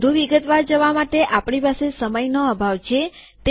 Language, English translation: Gujarati, We dont have time to go through this in more detail